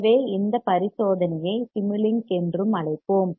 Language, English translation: Tamil, So, we will do this experiment also is called Simulink